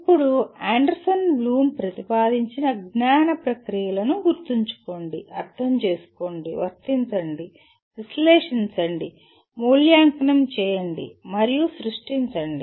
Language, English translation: Telugu, Now, the cognitive processes that we have as proposed by Anderson Bloom are Remember, Understand, Apply, Analyze, Evaluate, and Create